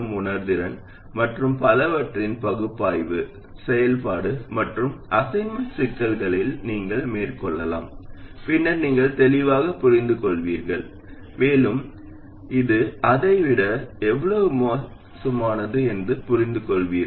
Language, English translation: Tamil, The analysis of sensitivity and so on, you can carry out an activity and assignment problems, then you will clearly understand why and by how much this is worse than that one